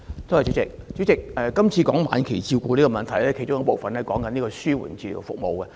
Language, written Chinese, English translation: Cantonese, 主席，今次談到晚期病人的問題，其中一部分涉及紓緩治療服務。, President we are now discussing issues relating to terminally - ill patients part of which involves palliative care services